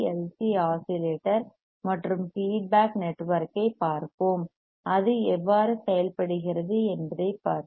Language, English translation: Tamil, First let us see the basic LC oscillator and the feedback network and let us see how it works